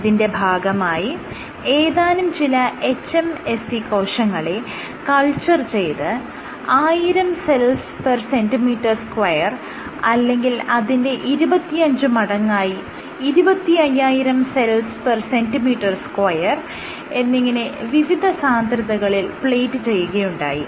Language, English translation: Malayalam, What the author started off was they did this experiments in which you cultured cells hMSCS where plated at different densities either at 1000 cells per centimeter square or 25 times higher, 25000 cells per centimeter square